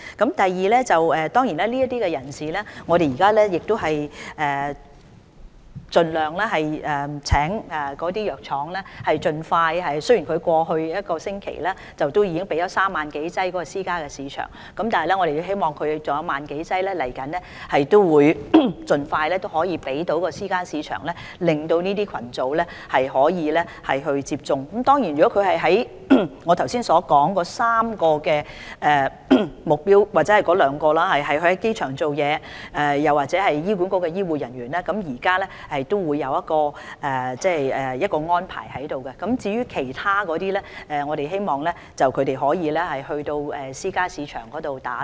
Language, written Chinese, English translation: Cantonese, 對於屬於我剛才所說的3個目標群組的人士，包括在機場工作的員工或醫管局的醫護人員，政府已作了安排。至於其他人士，我們希望他們可以到私營市場接種疫苗。, While the Government has made vaccination arrangements for the three aforementioned target groups including airport staff and health care staff of HA we hope that other people can receive vaccination in the private market